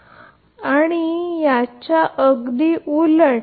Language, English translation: Marathi, So, just, just opposite to that